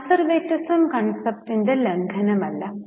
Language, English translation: Malayalam, They have not violated conservatism concept